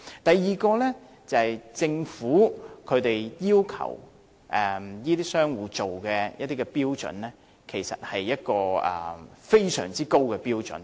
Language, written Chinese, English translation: Cantonese, 第二，政府要求這些商戶達到的標準，其實是非常高的標準。, Second the Government requires recyclers to meet extremely high standards